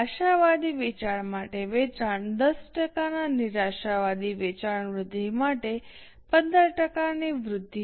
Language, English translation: Gujarati, Sales, for optimistic sale growth of 15%, for pessimistic sale growth of 10%